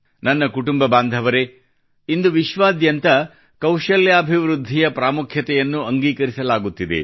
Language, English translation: Kannada, My family members, nowadays the importance of skill development is finding acceptance all over the world